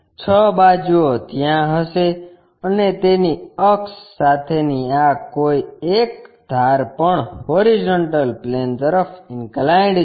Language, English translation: Gujarati, 6 sides will be there, and one of these base edges with its axis also inclined to horizontal plane